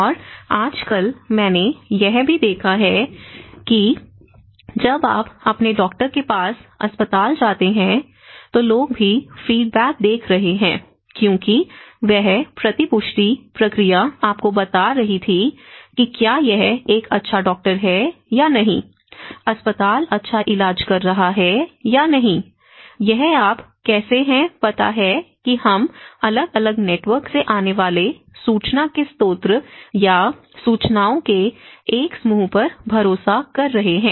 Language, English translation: Hindi, And nowadays, I have seen even when you go to your doctor to hospital, people are also looking at the feedback because that feedback process was telling you whether it is a good doctor whether the hospital is treating well or not so, this is how you know we are relying on a source of informations or a tacts of information coming from different networks